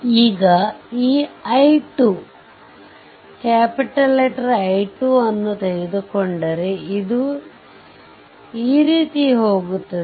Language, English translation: Kannada, Now, if you take this I 2, it is going like this going like this